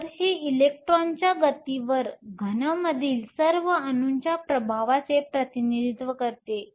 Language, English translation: Marathi, So, this represents the effect of all the atoms in the solid on the movement of the electron